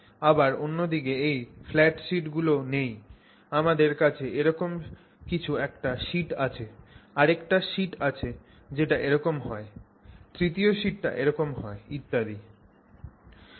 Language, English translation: Bengali, Here on the other hand you don't have these flat sheets you have something like that, another sheet which runs like that and third sheet that runs like that and so on